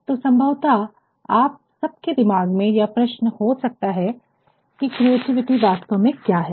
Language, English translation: Hindi, So, there might be a question in all of your minds, what actually is creativity